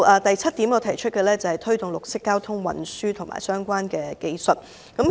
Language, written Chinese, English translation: Cantonese, 第七點，是推動綠色交通運輸工具及相關技術。, The seventh point is promoting green traffic modes and related technologies